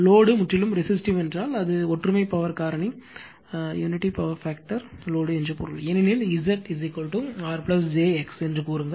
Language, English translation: Tamil, If load is purely resistive means it is unity power factor load, because Z is equal to say R plus j X